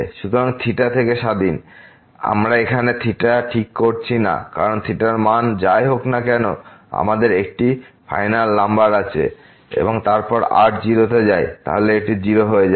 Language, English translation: Bengali, So, independent of theta, we are not fixing theta here because whatever the value of theta is we have a finite number here and then, goes to 0 then this will become 0